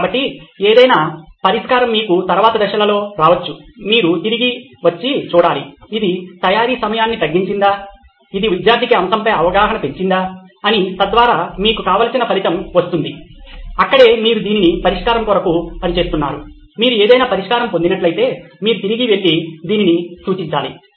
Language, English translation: Telugu, So any solution, you may come up with in the later stages, you have to come back and see, has it reduced the time of preparation, has it increased the understanding of the topic for the student, so that would be your desired result, that’s where you are working for that’s all the solution, any solution you come up with, you have to go back and refer to this